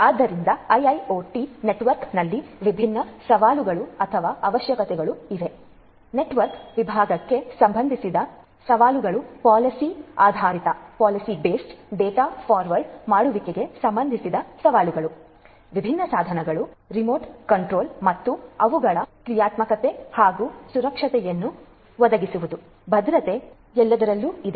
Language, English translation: Kannada, So, there are different challenges or requirements in IIoT network, challenges with respect to network segmentation, challenges with respect to having policy based data forwarding, remote control of different devices and their functionalities and offering security, security is there all through